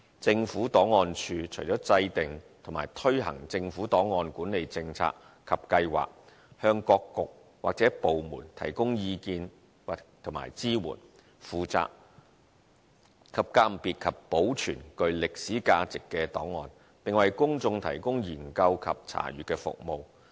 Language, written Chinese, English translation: Cantonese, 政府檔案處除了制訂和推行政府案管理政策及計劃，以及向各局或部門提供意見和支援外，亦負責鑒別及保存具歷史價值的檔案，並為公眾提供研究及查閱的服務。, The Government Records Service apart from formulating and implementing government records management policies and programmes as well as providing advice and support to Policy Bureaux and departments also identifies and preserves records of archival value and provides research and reference services to the public